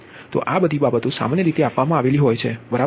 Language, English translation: Gujarati, so all this things are given in general, right